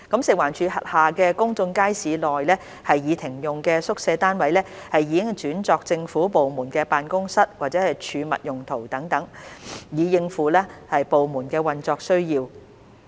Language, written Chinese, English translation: Cantonese, 食環署轄下公眾街市內已停用的宿舍單位已轉作政府部門辦公室或儲物用途等，以應付部門的運作需要。, Disused quarters units in public markets under FEHD have been redeployed for other uses such as offices of government departments or storage to meet operational needs